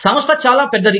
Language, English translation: Telugu, The organization is much bigger